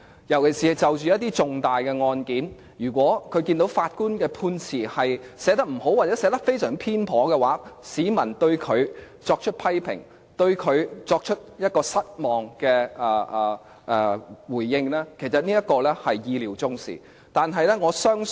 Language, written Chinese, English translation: Cantonese, 特別是就着一些重大的案件，如果他們看到法官的判詞寫得不好，又或寫得非常偏頗的話，市民會對法官作出批評，表示失望，其實這方面是意料中事。, On some important cases in particular if they see poorly written verdicts made by the judges or if the verdicts are very biased they will criticize the judges and express disappointment . This is in fact an expected outcome